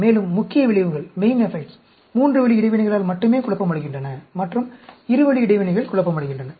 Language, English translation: Tamil, And, so, the main effects are confounded only with three way interactions, and two way interactions are confounded